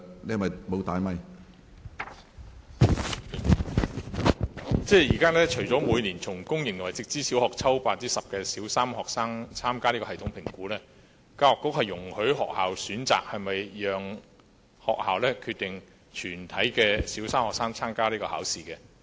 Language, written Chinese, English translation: Cantonese, 現時除了每年從公營和直資小校抽選 10% 的小三學生參加系統評估外，教育局亦容許學校選擇是否讓全體小三學生參加有關評估。, Under the current arrangement apart from annual sampling about 10 % of students from each public sector and Direct Subsidy Scheme school to participate in the Primary 3 TSA the Education Bureau also allows schools to opt for participation in TSA by all their Primary 3 students